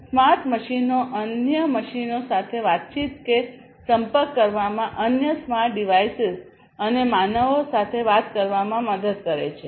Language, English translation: Gujarati, Smart machines help in communicating with other machines, communicating with other smart devices, and communicating with humans